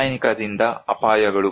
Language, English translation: Kannada, Dangers from chemical